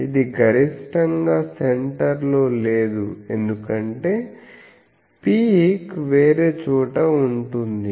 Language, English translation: Telugu, It is the maximum is not at the center first thing, because peak is somewhere else